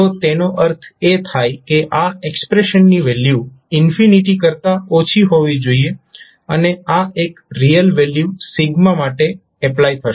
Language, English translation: Gujarati, So that means the value of this expression should be less than infinity and this would be applicable for a real value sigma